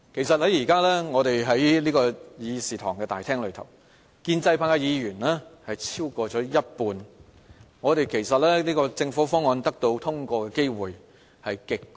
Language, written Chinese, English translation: Cantonese, 由於現時議事廳裏建制派議員有超過一半，政府議案得到通過的機會極高。, With more than half of the Members in the Chamber belonging to the pro - establishment camp the passage of the motion is highly likely